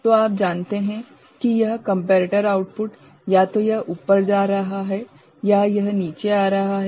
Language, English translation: Hindi, So, a you know either it is going up or it is coming down the comparator output